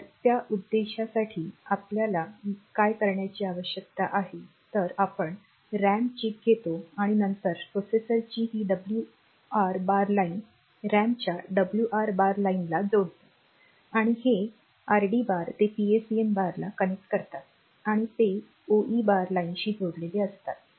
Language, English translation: Marathi, So, for that purpose what we have to do is we take the RAM chip and then this right bar line of the processor is connected to the right bar line of the RAM and this RD bar and PSEN bar they are odd and they are that is connected to the OE bar line